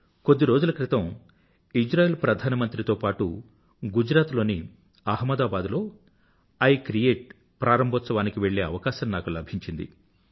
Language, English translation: Telugu, A few days ago, I got an opportunity to accompany the Prime Minister of Israel to Ahmedabad, Gujarat for the inauguration of 'I create'